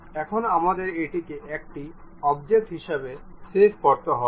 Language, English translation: Bengali, Now, what we have to do save this one as an object